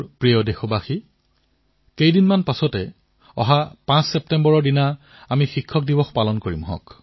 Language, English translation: Assamese, My dear countrymen, in a few days from now on September 5th, we will celebrate Teacher's day